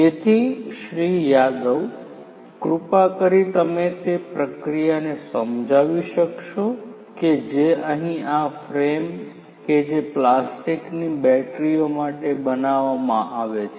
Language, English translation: Gujarati, Yadav could you please explain the process that is followed over here in order to prepare this frame that is made for the batteries, the plastic batteries